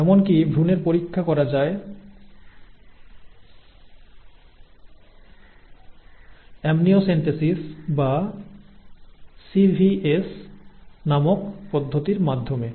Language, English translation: Bengali, Even foetuses can be tested through procedures called amniocentesis or chorionic villus sampling called CVS